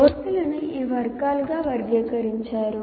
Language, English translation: Telugu, First courses are classified into these categories